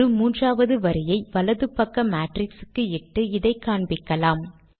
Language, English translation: Tamil, Let us add a third line to the matrix on the right hand side and illustrate this idea